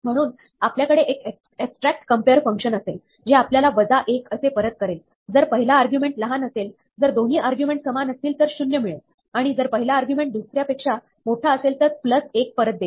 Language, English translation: Marathi, So, we might have an abstract compare function, which returns minus 1 if the first argument is smaller, zero if the 2 arguments are equal, and plus 1 if the first argument is bigger than the second